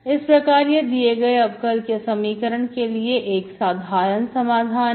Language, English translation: Hindi, So this is a general solution of the given differential equation